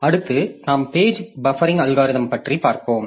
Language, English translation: Tamil, Next we'll be looking into page buffering algorithms